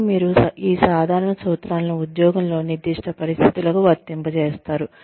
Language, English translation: Telugu, But, you apply these general principles, to specific situations, on the job